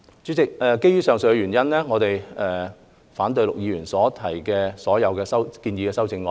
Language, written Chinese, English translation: Cantonese, 主席，基於以上原因，我們反對陸議員的所有建議修正案。, Chairman owing to the aforesaid reasons we oppose all proposed amendments of Mr LUK